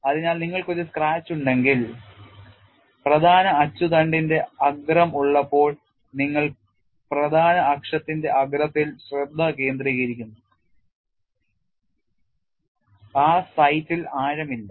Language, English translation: Malayalam, So, if you have a scratch, when you are having a the tip of the major axis; that is you are concentrating on tip of the major axis, there is no depth in that site